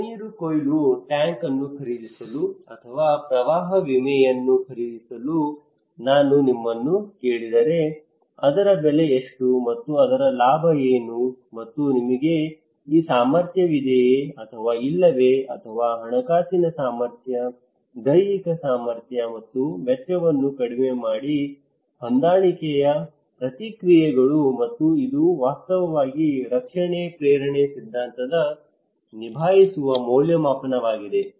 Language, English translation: Kannada, Like if I ask you to buy a rainwater harvesting tank or buy a flood insurance what are the cost of that one and what would be the return of that one and whether you have this capacity or not financial capacity, physical capacity and minus the cost of adaptive responses okay and which is actually the coping appraisal for the protection motivation theory